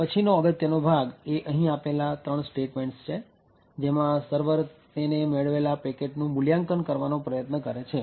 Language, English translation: Gujarati, The next important part is these three statements over here at the server end, the server is trying to evaluate the packet that it has obtained